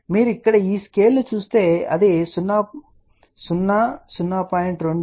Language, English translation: Telugu, So, if you look at this scale here it will actually show you 0, 0